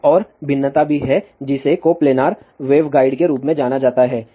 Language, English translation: Hindi, There is another variation also which is known as coplanar wave guide